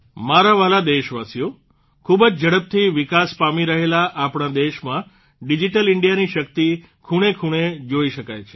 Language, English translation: Gujarati, My dear countrymen, in our fast moving country, the power of Digital India is visible in every corner